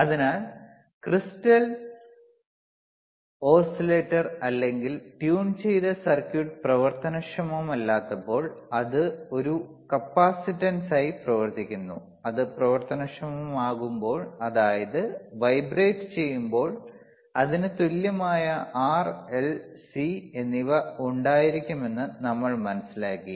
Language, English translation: Malayalam, So, what we understood that when the crystal, when the crystal when the crystal oscillator or a tuned circuit is not functional, it acts as a capacitance, and when it is functional, when it is vibrating, it will have R, L and C in its equivalent